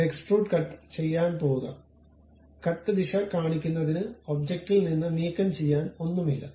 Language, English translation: Malayalam, Then go to extrude cut; the cut direction shows that away from the object nothing to remove